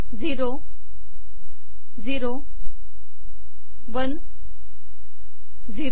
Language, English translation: Marathi, Zero, zero, one, zero